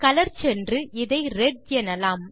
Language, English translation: Tamil, We will go to color, we define it as red